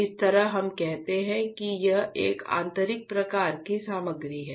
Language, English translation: Hindi, That is how we say it is an intrinsic kind of material